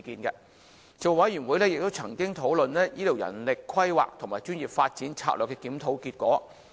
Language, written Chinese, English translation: Cantonese, 事務委員會亦曾經討論醫療人力規劃和專業發展策略的檢討結果。, The Panel also discussed the outcome of manpower planning and professional development of the health care professions